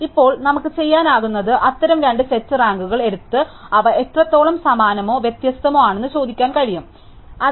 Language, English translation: Malayalam, So, now what we can do is we can take two such sets of rankings and ask how similar or dissimilar they are